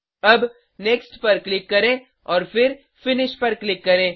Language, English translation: Hindi, Now, Click on Next and then click on Finish